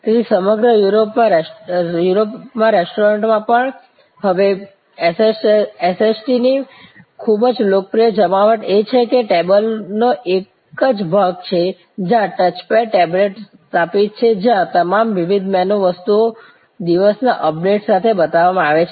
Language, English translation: Gujarati, So, even in restaurants across Europe, now a quite popular deployment of SST is the table itself has a portion, where a touch pad tablet is installed, where all the different menu items are shown with a updates for the day